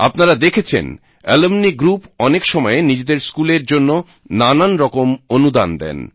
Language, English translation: Bengali, You must have seen alumni groups at times, contributing something or the other to their schools